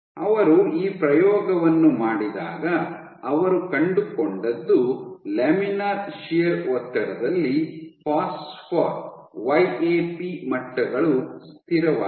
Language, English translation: Kannada, When they did this experiment what they found was under laminar shear stress their phosphor YAP levels were constant